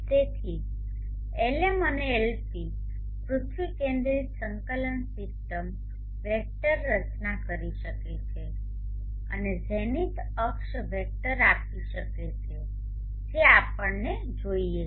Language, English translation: Gujarati, So Lm and Lp earth centric coordinate system vectors can form and give Lz the zenith axis vector which is what we want, so let us say Lz=Lm cos